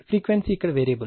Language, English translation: Telugu, Frequency is variable here